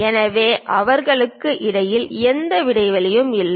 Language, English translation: Tamil, So, there is no gap in between them